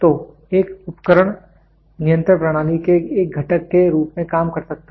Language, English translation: Hindi, So, an instrument can serve as a component of control system